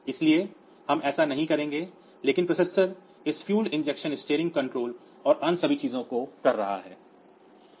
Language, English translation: Hindi, So, we will not do that, but the processor is doing other things like this fuel injection steering control and all that